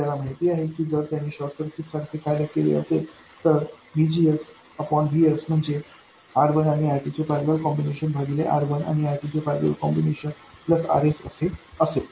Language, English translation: Marathi, We know that if it did behave like a short circuit, VGS by VS will simply be the ratio of these registers, R1 parallel R2 divided by R1 parallel R2 plus RS